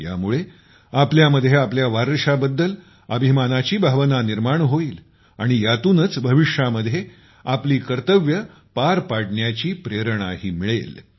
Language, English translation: Marathi, This will instill in us a sense of pride in our heritage, and will also inspire us to perform our duties in the future